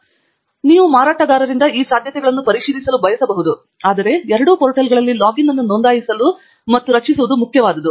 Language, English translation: Kannada, So, you may want to check about these possibilities from the vendor, but its very important for us to register and create a login on both the portals